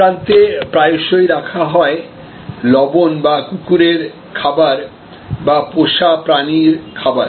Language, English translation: Bengali, So, salt is often placed at this extreme or dog food or pet food is placed at this extreme